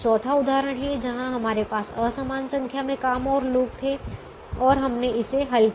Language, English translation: Hindi, the fourth example is where we had an unequal number of jobs and people and we solved it